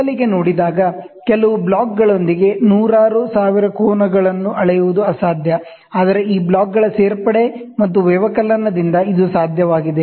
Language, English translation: Kannada, At first seen, it is impossible to measure hundreds of thousands of angles with few blocks, but it may be possible by addition and subtraction of these blocks